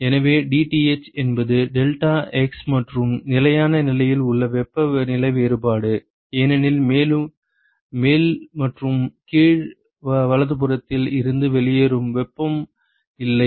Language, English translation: Tamil, So, dTh is the temperature difference in deltax and at steady state because there is no heat that is going out from the top and the bottom right